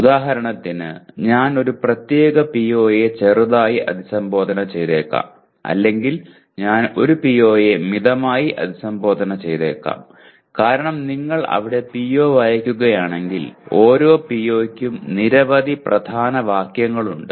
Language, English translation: Malayalam, For example I may be slightly addressing a particular PO or I may be addressing a PO moderately because if you read the PO there are every PO has several key phrases